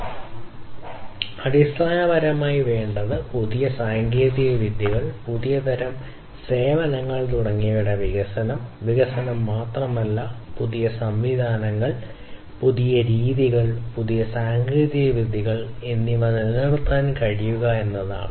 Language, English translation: Malayalam, So, basically what is required is not just the development, development in terms of introduction of new technologies, new types of services, and so on, but what is also required is to be able to sustain the newer systems, newer methodologies, newer techniques that are introduced